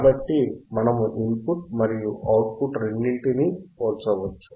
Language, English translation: Telugu, So, we can compare the input and output both